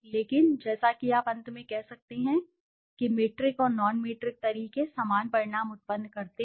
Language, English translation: Hindi, But as you can say at the end the metric and the non metric methods produce similar results